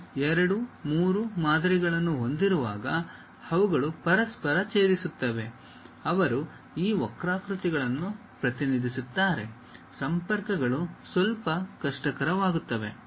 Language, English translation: Kannada, When you have two, three models which are intersecting with each other; they representing these curves contacts becomes slightly difficult